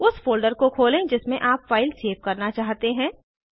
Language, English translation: Hindi, Open the folder in which you want the file to be saved